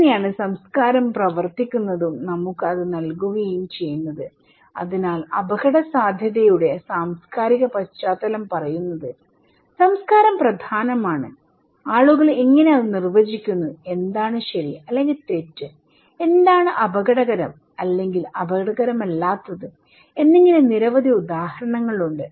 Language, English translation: Malayalam, So thatís how culture works and gives us so, cultural context of risk is saying that culture matters, how people define, what is right or wrong, what is risky or not risky and in so, there are many examples